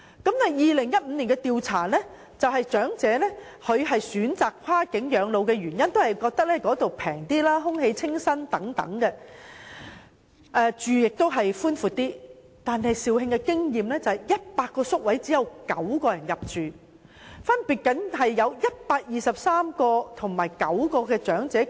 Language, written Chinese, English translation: Cantonese, 然而 ，2015 年的調查顯示，長者選擇跨境養老的原因是認為內地消費較低廉、空氣清新、院舍較為寬闊，但肇慶院舍的100個宿位中只有9人入住，而深圳院舍亦只有123人入住。, The results of a survey conducted in 2015 also revealed that elderly persons opted for cross - boundary elderly care services because they considered the service price cheaper on the Mainland while they could enjoy fresher air and more spacious environment there . However only 9 of the 100 places provided in the residential care home for the elderly in Zhaoqing were taken up and only 123 elderly persons were admitted to the one located in Shenzhen